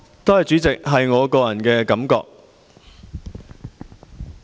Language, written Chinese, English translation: Cantonese, 多謝主席，那是我的個人感覺。, Thank you President . That is my personal opinion